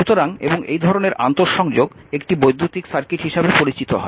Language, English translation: Bengali, Therefore, an electric circuit is an interconnection of electrical elements